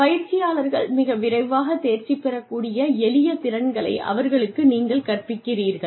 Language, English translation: Tamil, You teach them simpler skills, that they are able to master, very, very, quickly